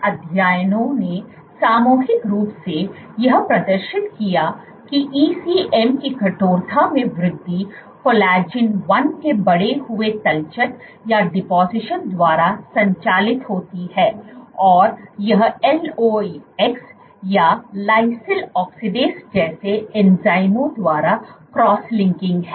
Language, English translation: Hindi, Increase in ECM stiffness is driven by increased deposition of collagen 1 and it is cross linking by enzymes like LOX or like lysyl oxidase